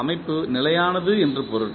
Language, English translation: Tamil, That means that the system is stable